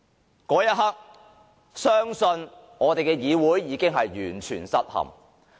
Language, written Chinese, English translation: Cantonese, 到了那一刻，相信我們的議會已完全失陷。, I believe when this happens our legislature will have fallen completely